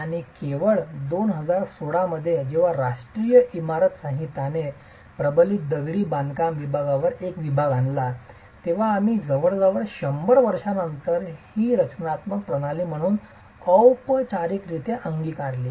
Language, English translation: Marathi, And it's only in 2016 when the National Building Code introduced a section on reinforced masonry that we formally adopted this as a structural system almost 100 years later